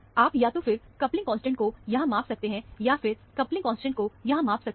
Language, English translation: Hindi, You can either measure the coupling constant here, or measure the coupling constant here